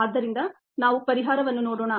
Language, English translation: Kannada, so let us look at the solution